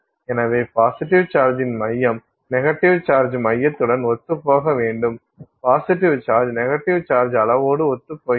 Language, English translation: Tamil, So, center of positive charge should coincide with center of negative charge